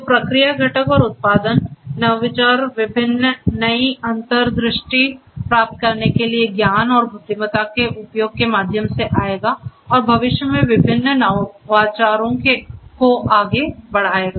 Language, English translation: Hindi, So, process component and production; innovation will come through the use of knowledge and intelligence for deriving different new insights and correspondingly making different predictions which will lead to different innovations in the future